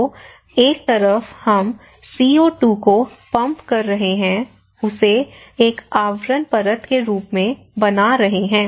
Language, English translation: Hindi, So, one side we are pumping the CO2, making it as a cover layer